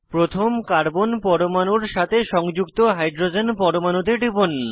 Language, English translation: Bengali, Click on the hydrogen atom attached to the first carbon atom